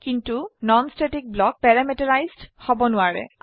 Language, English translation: Assamese, But the non static block cannot be parameterized